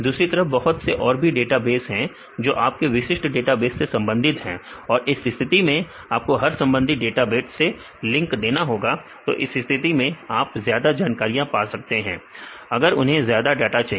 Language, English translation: Hindi, On the other hand there will be several other databases which are related to the your specific database and in this case you have to provide the links to all the relevant databases in this case you said you can get the information if they need more data